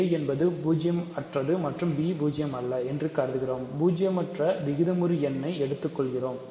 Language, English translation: Tamil, And we assume that a is non zero and b is non zero, we take a non zero rational number